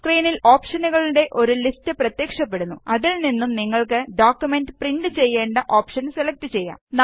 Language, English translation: Malayalam, A list of option appears on the screen from where you can select and print in the document